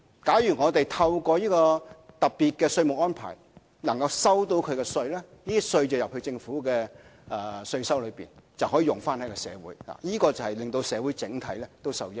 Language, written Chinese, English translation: Cantonese, 假如透過這個特別的稅務安排能夠收到稅款，這些稅款進入政府稅收，就可以用於社會，使社會整體受益。, However if this special tax arrangement can bring in tax payments the Government can receive additional tax revenue which can be used on societal needs for the benefit of the entire society